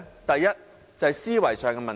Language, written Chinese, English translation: Cantonese, 第一，思維上的問題。, Firstly problems with the mindset